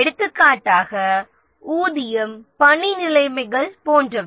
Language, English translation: Tamil, For example, the pay, working conditions, etc